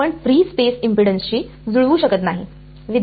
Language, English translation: Marathi, You cannot match the free space impedance